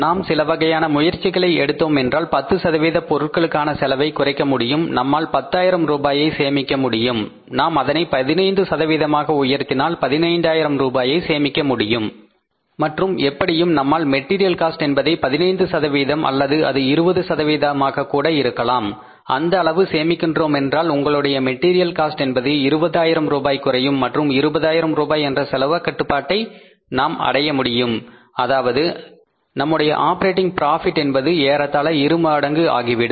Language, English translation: Tamil, If you make some efforts, we can save 10% cost of the material, we can save 10,000 rupees if we increase it to 15% we save 15,000 rupees and somehow if you are able to reduce the material cost by 1 5th or maybe 20% then your material cost will be coming down by 20,000 and we are able to achieve this reduction in the cost of material by 20,000 rupees then almost our operating profit will become double